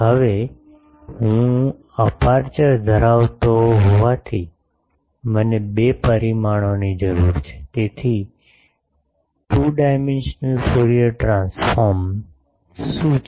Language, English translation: Gujarati, Now since I have aperture I need two dimension, so what is a two dimensional Fourier transform